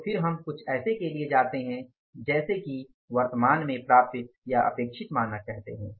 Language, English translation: Hindi, So then we go for something like we call it as currently attainable or expected standards